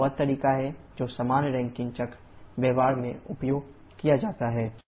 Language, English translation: Hindi, So, this is the way that general Rankine cycle used in practice